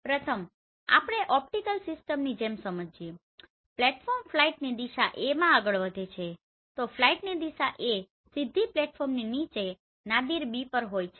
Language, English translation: Gujarati, The first one is let us understand similar to optical system the platform travels forward in the flight direction A so the flight direction is A with the Nadir B directly beneath the platform